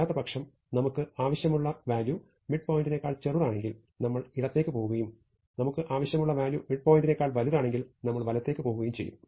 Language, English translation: Malayalam, Otherwise, if the value that we want is smaller than the midpoint, then we go to the left and if the value that we want is bigger than the midpoint, then we go to the right